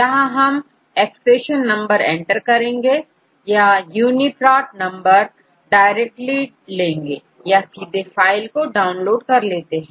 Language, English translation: Hindi, We can either enter the accession number or the UniProt number directly, or we can upload the file which we downloaded